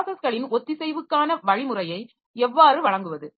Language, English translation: Tamil, Then how to provide mechanism for process synchronization